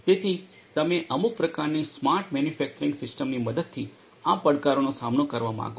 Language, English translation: Gujarati, So, you want to address these challenges with the help of some kind of a smart manufacturing system